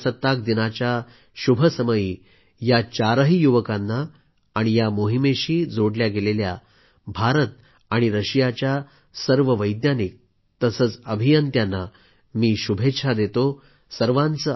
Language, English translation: Marathi, On the auspicious occasion of Republic Day, I congratulate these four youngsters and the Indian and Russian scientists and engineers associated with this mission